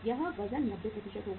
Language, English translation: Hindi, This weight will be 90%